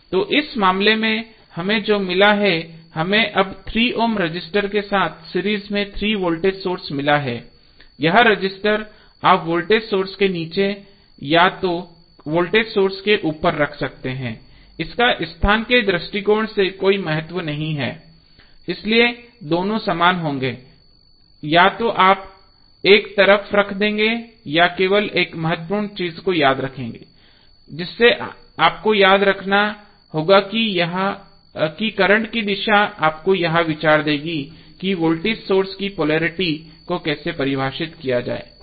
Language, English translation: Hindi, So in this case what we have got, we have got 3 voltage source in series with 3 ohm resistance now, this resistance you can either put above the voltage source below the voltage source it does not have any significance from location prospective so, both would be same either you put up side or down ward the only important thing which you have to remember is that, the direction of current will give you the idea that how the polarity of the voltage source would be define